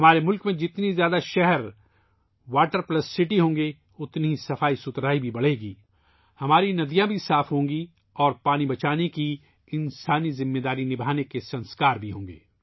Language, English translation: Urdu, The greater the number of cities which are 'Water Plus City' in our country, cleanliness will increase further, our rivers will also become clean and we will be fulfilling values associated with humane responsibility of conserving water